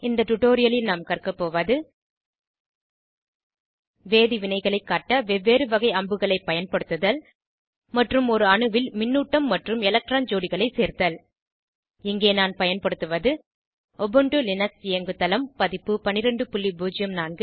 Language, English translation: Tamil, In this tutorial, we will learn to, * Use different types of arrows to represent chemical reactions and * Add charge and electron pairs on an atom For this tutorial I am using Ubuntu Linux OS version 12.04